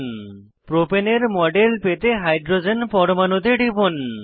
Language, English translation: Bengali, Click on the hydrogen atom to get a model of Propane